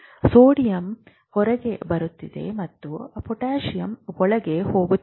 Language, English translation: Kannada, All the sodium potassium is going on in and out